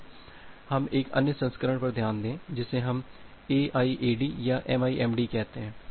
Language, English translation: Hindi, Now, let us look into another variant which we call as the AIAD or MIMD